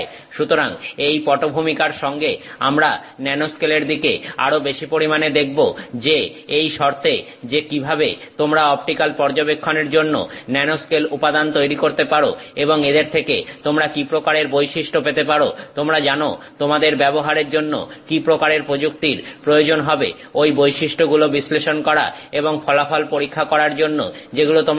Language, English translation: Bengali, So, with this background we will look at more the nanoscale in terms of how you can create nanoscale materials for optical studies and what kind of properties you might get from them, what how, what kind of technique you would need to use to you know probe those properties and examine the result that you get